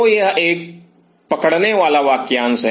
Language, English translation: Hindi, So, this is the catch phrase